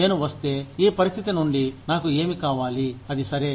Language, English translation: Telugu, If I get, what I need from this situation, it is okay